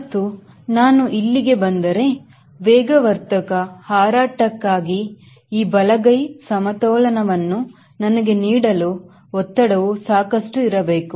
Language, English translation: Kannada, and if i come here i know that thrust should be enough to give me this right hand side balance for on accelerated flight